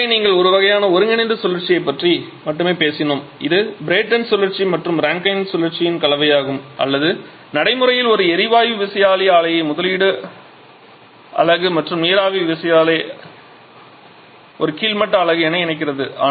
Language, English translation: Tamil, So, up to this we have talked about only one kind of combined cycle which is the combination of Brayton cycle and Rankine cycle or practically the combination of a gas turbine plant as a topping unit under steam turbine plant as a bottoming unit